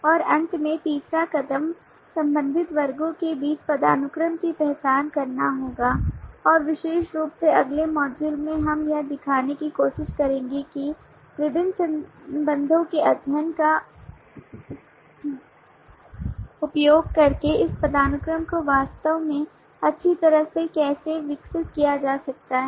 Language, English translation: Hindi, and finally the third step would be to identify the hierarchy between related classes and particularly in the next module we will try to show how this hierarchy can be really developed well using the study of different relationships that may exist